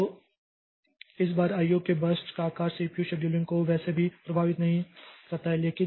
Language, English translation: Hindi, So, this type of IO per year burst size does not affect this CPU scheduling anyway